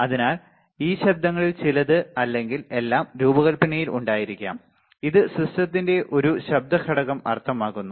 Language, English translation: Malayalam, So, some or all the of this noises may be present in the design, presenting a noise factor meaning to the system